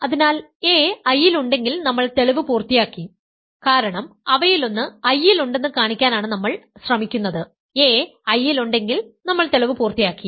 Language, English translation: Malayalam, So, if a is in I we are done because we are trying to show one of them is in I, if a is in I we are done